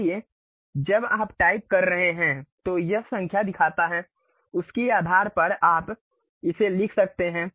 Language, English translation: Hindi, So, when you are typing it it shows the numbers, based on that you can really write it